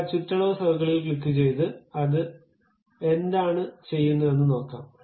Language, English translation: Malayalam, Let us click that perimeter circle and see what it is doing